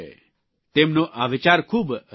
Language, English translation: Gujarati, Their idea is very interesting